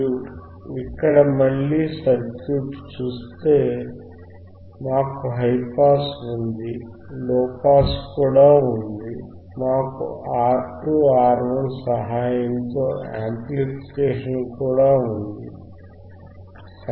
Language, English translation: Telugu, So, iIf you see the circuit here again, we have we have high pass, we have low pass, we have the amplification with the help of R 2, R 1, right